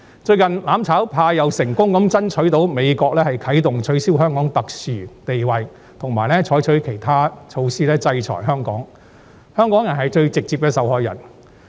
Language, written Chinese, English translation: Cantonese, 最近，"攬炒派"又成功爭取到美國啟動取消給予香港特殊待遇，以及採取其他措施制裁香港，最直接的受害者將會是香港人。, Recently the mutual destruction camp has succeeded in persuading the United States to launch the cancellation of Hong Kongs preferential treatment and other sanctions against Hong Kong . The most direct victims will be Hong Kong people